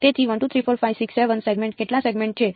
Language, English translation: Gujarati, So, 1 2 3 4 5 6 7; 7 points I have been chosen